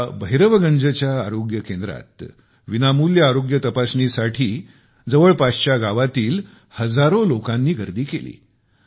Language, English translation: Marathi, At this Bhairavganj Health Centre, thousands of people from neighbouring villages converged for a free health check up